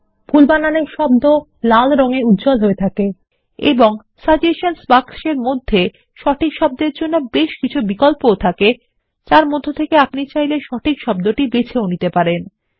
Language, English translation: Bengali, The word with the wrong spelling is highlighted in red and there are several suggestions for the correct word in the Suggestions box from where you can choose the correct word